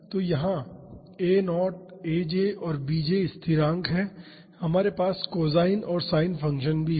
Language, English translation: Hindi, So, here a naught aj and bj are constants and we have cosine and sin functions as well